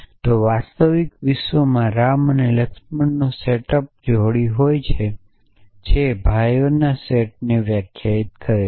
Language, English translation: Gujarati, If in the real world ram and laxman the pair belongs to the set up pairs which define the set of brothers essentially